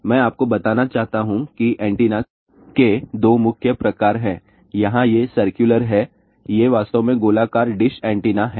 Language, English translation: Hindi, I just want to tell you there are two main types of antenna; one are these circular ones here , these are actually circular dish antenna and